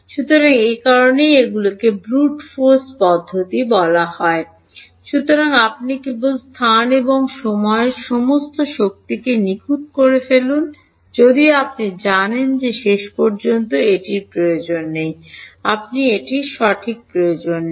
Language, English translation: Bengali, So, that is why these are called brute force method; so, you just brute force in space and time calculate everything even though you know do not need it finally, you do not need it right